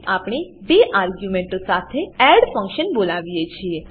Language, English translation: Gujarati, Then we call the add function with two arguments